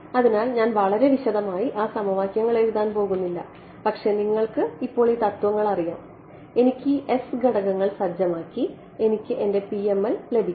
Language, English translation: Malayalam, So, I am not going to write down those very detailed equation, but you know the principle now I have to set these s parameters and I get my PML ok